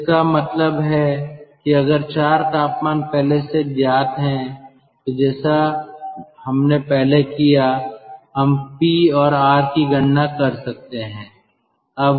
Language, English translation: Hindi, so that means if the four temperatures are known, the way earlier we have calculated p and r, we can calculate